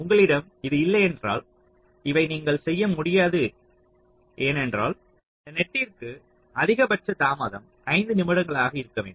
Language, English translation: Tamil, so unless you have this, you cannot do this right because, ah, someone has to tell you that this net has to have a maximum delay of, say, five minutes